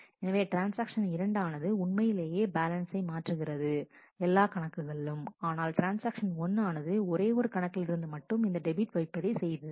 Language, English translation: Tamil, So, transaction 2 actually changes does this balance change in all the accounts, whereas, transaction 1 makes this debit in only one account